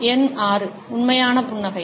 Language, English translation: Tamil, Number 6, genuine smile